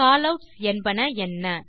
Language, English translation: Tamil, What are Callouts